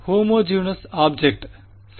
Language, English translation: Tamil, Homogenous object right